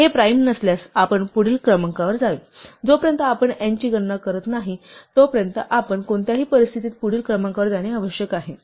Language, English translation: Marathi, If this is not a prime, we must go to the next number; in any case, we must go to the next number and until we hit a count of n